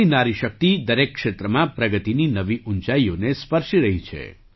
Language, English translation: Gujarati, Today the woman power of India is touching new heights of progress in every field